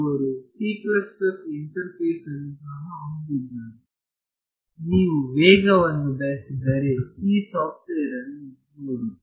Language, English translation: Kannada, They also have a c plus plus interface, if you wanted speed ok, have a look at this software